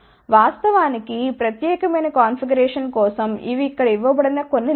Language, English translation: Telugu, In fact, for this particular configuration these are some of the specifications given over here